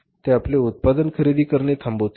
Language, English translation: Marathi, They will stop buying your product